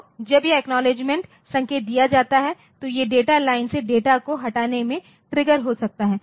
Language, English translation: Hindi, So, this acknowledgement signal when it is given this may be trigger in the removal of data from the data line